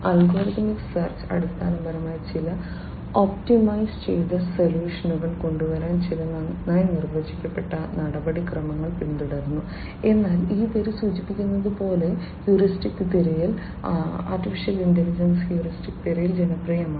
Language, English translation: Malayalam, Algorithmic search basically follows certain well defined procedures in order to come up with some optimized solution whereas, heuristic search as this name suggests; heuristic search is popular in AI